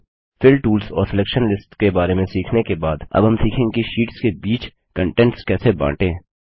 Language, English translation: Hindi, After learning about the Fill tools and Selection lists we will now learn how to share content between sheets